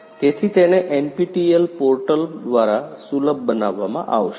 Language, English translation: Gujarati, So, it is going to be made accessible through the NPTEL portal